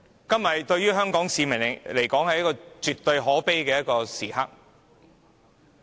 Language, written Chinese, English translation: Cantonese, 今天對香港市民來說，絕對是可悲的日子。, To all people in Hong Kong today is definitely the most lamentable